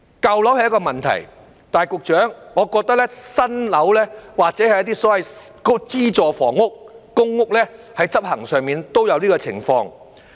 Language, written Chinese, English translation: Cantonese, 舊樓是一個問題，但是局長，我認為新樓或是一些所謂的資助房屋、公屋，在執行上都有這種情況。, Old buildings are a problem . Yet Secretary I think this situation will also be found in new buildings or some so - called subsidized housing or public housing during implementation